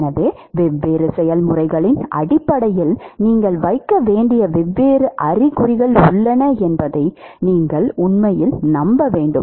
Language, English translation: Tamil, So, you must actually convince yourself that there are different signs that you have to put based on what are the different processes